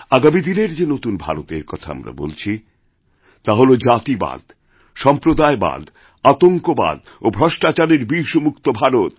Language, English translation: Bengali, When we talk of new India then that new India will be free from the poison of casteism, communalism, terrorism and corruption; free from filth and poverty